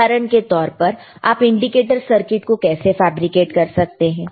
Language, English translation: Hindi, For example, how you can fabricate indicator circuit